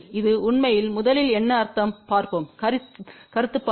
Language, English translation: Tamil, What is this really mean first let us just look at the concept point of view